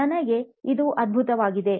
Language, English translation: Kannada, For me, this is amazing